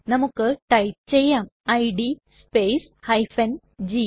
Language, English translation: Malayalam, Lets type id space g